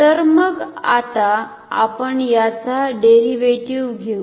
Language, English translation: Marathi, So, then let us take a derivative